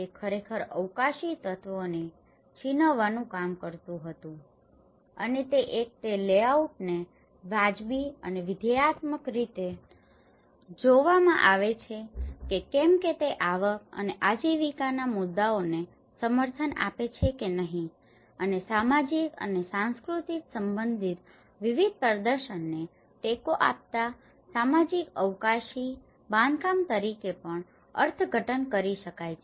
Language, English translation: Gujarati, It actually worked to tease out the spatial elements and one is the layout is viewed both instrumentally and functionally whether support or not the issues of income and livelihood and it can also be interpreted as socio spatial construct which supports different performatives related to social and cultural life